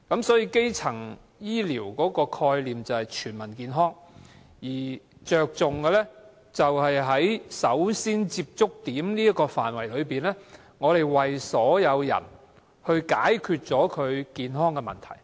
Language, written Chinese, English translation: Cantonese, 所以基層醫療的概念便是全民健康，而着重的是在首先接觸點這個範圍內，為所有人解決健康問題。, In this sense primary health care equates to the concept of Health for All with its focus on the handling of the health problems of all of us at the very first contact point